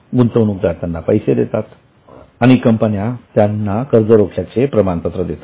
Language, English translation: Marathi, Investors pay them money and they issue a certificate for debenture